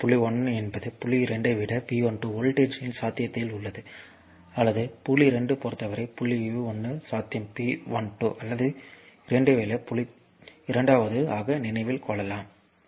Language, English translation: Tamil, So; that means, point 1 is at a potential of V 12 volts higher than point 2 or the potential at point 1 with respect to point 2 is V 12 or the potential at point 1 with respect to point 2 is V 12 second one easy at to remember right